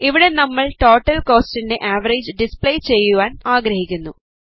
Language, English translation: Malayalam, Here we want to display the average of the total cost